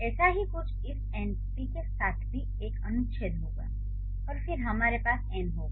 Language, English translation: Hindi, Similar is the case with this np also will have an article and then we'll have n